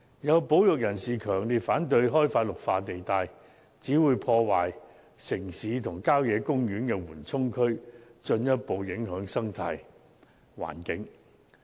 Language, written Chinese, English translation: Cantonese, 有保育人士強烈反對開發綠化地帶，指會破壞城市和郊野公園的緩衝區，進一步影響生態環境。, Some conservationists strongly oppose the development of green belt areas saying that this will destroy the buffers between the urban areas and country parks thereby further affecting the ecological environment